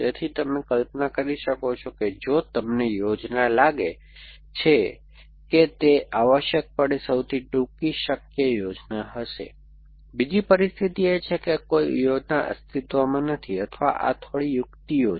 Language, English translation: Gujarati, So, you can imagine that because we are doing that, if you find the plan it will be shortest possible plan essentially, the other situation is no plan exists or this is the little bit trickles see